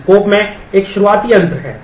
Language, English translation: Hindi, There is a begin end in the scope